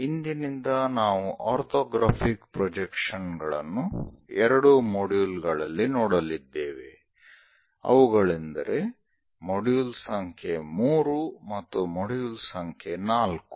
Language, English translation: Kannada, From now onwards, orthographic projections in 2 modules we will cover, that is for module number 3 and module number 4